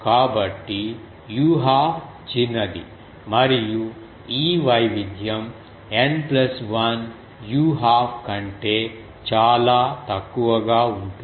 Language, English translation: Telugu, So, u half is small and this variation is much slower than N plus 1 u half